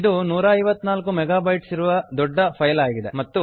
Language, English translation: Kannada, It is a large file, about 154 mega bytes